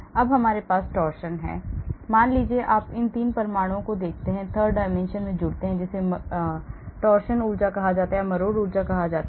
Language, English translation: Hindi, Now we have torsion suppose you look at these 3 atoms turned, twisted in the third dimension that is called the torsion energy